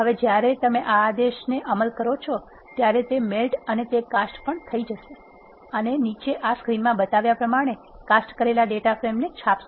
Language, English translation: Gujarati, Now when you execute this command, it will melt and it also cast and it will print the casted data frame as shown in this screen below